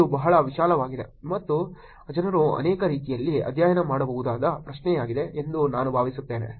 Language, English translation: Kannada, I think this is a very broad and question that people could study in multiple ways